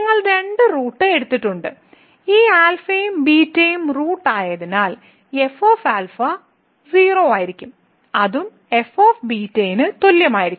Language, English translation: Malayalam, So, you have taken two roots and since this alpha and beta are the roots so, will be 0 and that will be also equal to